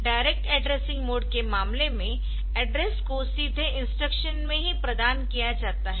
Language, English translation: Hindi, So, in case of direct addressing the address is directly provided in the instruction itself